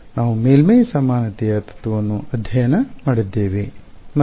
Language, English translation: Kannada, We studied surface equivalence principle and